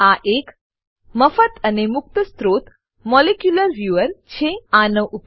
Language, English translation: Gujarati, It is, * A free and open source Molecular Viewer